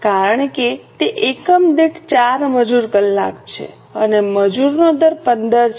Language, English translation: Gujarati, Because it is 4 labour hours per unit and the rate per labour is 15